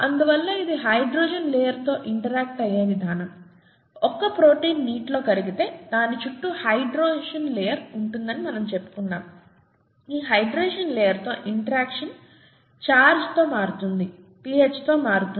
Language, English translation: Telugu, Therefore the way it interacts with the hydration layer; we said that if a protein is dissolved in water, there is a hydration layer around it; the interaction with that hydration layer changes with charge, changes with pH, okay